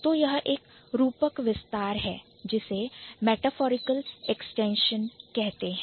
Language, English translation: Hindi, So, this is a metaphorical extension